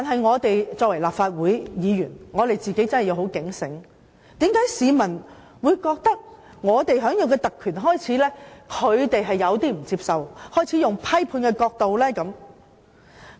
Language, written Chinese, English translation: Cantonese, 我們作為立法會議員，確實要警醒，為何市民會認為我們享有的特權，令他們感到不能接受，因而用批判角度看這些特權？, We as Members must always be aware why the public consider the privileges we enjoy unacceptable and hence adopt a critical view on such privileges